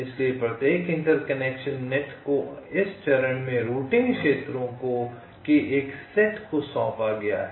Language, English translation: Hindi, ok, so each interconnection net is assigned to a set of routing regions